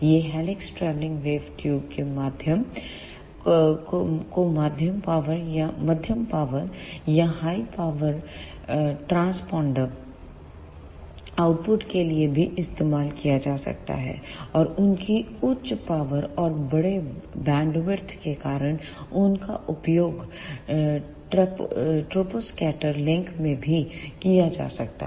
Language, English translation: Hindi, These helix travelling wave tubes can also be used for medium power or high power satellite transponder outputs; and because of their higher powers and large bandwidth, they can also be used in troposcatter links